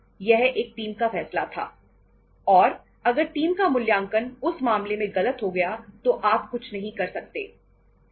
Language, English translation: Hindi, It was a team decision and if the teamís assessment has gone wrong in that case you canít do anything